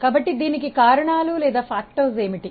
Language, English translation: Telugu, So, what are those factors